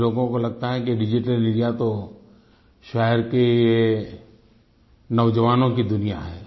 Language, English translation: Hindi, Some people feel that Digital India is to do with the world of the youth in our cities